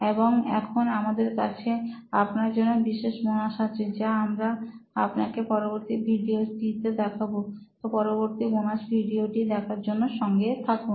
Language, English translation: Bengali, And now we have a special bonus for you which we’ll show it you in the next video, so stay tuned for the next bonus video